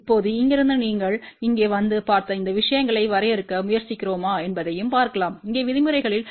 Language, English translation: Tamil, Now, from here you can also see if we try to define these things you come over here and look at the terms here